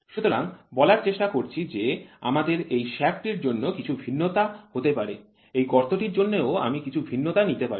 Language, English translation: Bengali, So, I try to say for this shaft I allow some variation to happen, for this hole I allow some variation to happen